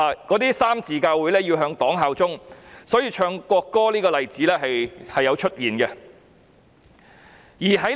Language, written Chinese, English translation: Cantonese, 那些三自教會要向黨效忠，所以在宗教儀式上奏唱國歌的例子是有的。, Such three - self churches have to pledge allegiance to the party and so there are examples of the national anthem being played and sung at religious services